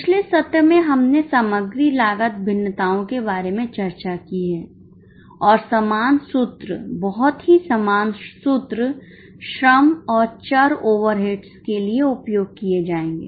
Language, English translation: Hindi, In the last session we are discussed about material cost variances and the same formulas, very similar formulas will be used for labour and variable over eds